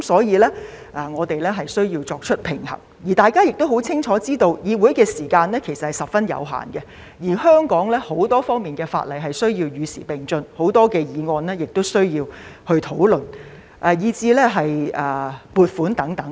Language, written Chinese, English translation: Cantonese, 因此，我們便需要作出平衡，大家亦清楚知道，議會的時間其實是十分有限的，而香港很多方面的法例也需要與時並進，有很多議案亦需要進行討論，以及要通過撥款申請等。, Therefore we need to strike a balance . We all know very well that within the time constraints of this Council the legislation of various aspects in Hong Kong need to be kept up to date many motions need to be discussed and many funding applications also need to be passed